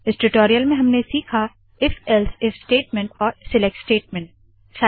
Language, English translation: Hindi, In this tutorial we have learnt the if elseif else statement and the select statement